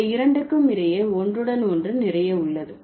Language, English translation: Tamil, So, there is a lot of overlapping between these two